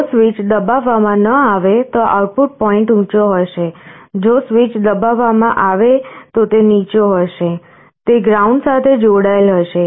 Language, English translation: Gujarati, If the switch is not pressed, the output point will be high, if the switch is pressed it will be low; it will be connected to ground